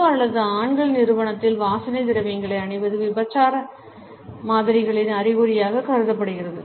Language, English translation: Tamil, To wear perfumes in public or in the company of men is considered to be an indication of adulteress models